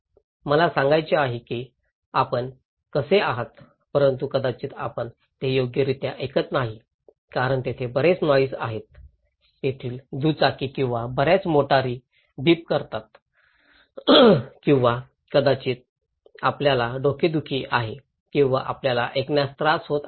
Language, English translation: Marathi, I want to say you how are you but maybe you are not listening it properly because there are a lot of noises there, the bikes there or a lot of the cars are beeping or maybe you have headache or you have difficulty in hearing